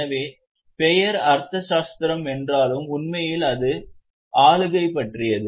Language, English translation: Tamil, So, though the name is Arthasastra, actually it is about governance